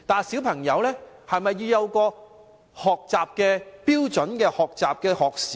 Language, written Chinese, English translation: Cantonese, 小孩是否也須設標準的學習時間呢？, Should standard learning hours be set for children as well?